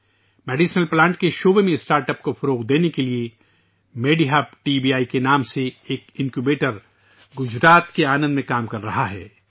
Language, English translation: Urdu, To promote startups in the field of medicinal plants, an Incubator by the name of MediHub TBI is operational in Anand, Gujarat